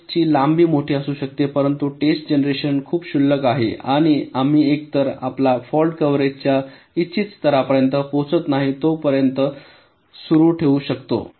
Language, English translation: Marathi, but the test generation is very trivial and we can continue until either we reach a desired level of fault coverage